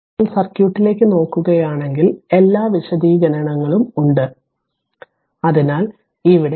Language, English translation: Malayalam, So now, if you look into the circuit all explanation are there, but directly you are going here I just told you